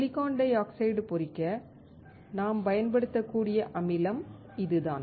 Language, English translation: Tamil, This is the acid that we can use to etch the silicon dioxide